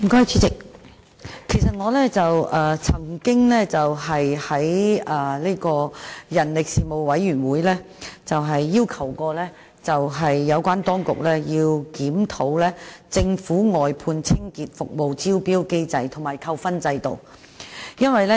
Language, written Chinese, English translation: Cantonese, 主席，我曾在人力事務委員會要求有關當局檢討政府外判清潔服務的招標機制和扣分制度。, President I had urged the authorities to review the tendering mechanism for outsourcing cleaning services of the Government and the demerit point system at the Panel on Manpower